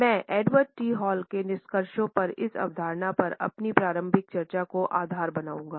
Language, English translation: Hindi, I would base my initial discussions over this concept on the findings of Edward T Hall